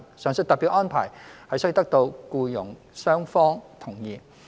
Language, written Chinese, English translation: Cantonese, 上述特別安排須得到僱傭雙方同意。, The above special arrangements are subject to agreement between the FDH and the employer